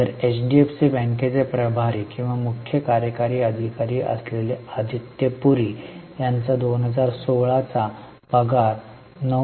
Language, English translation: Marathi, So, Adityapuri, who is in charge of or CEO of HDFC bank, you can see the salary for 2016 was 9